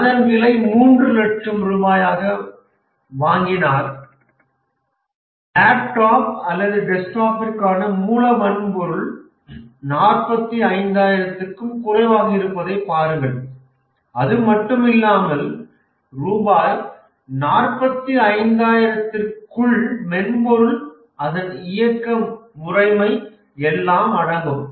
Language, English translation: Tamil, Just look at this that the raw hardware for the laptop or desktop is much less than 45,000 because 45,000 also includes the software operating system and so on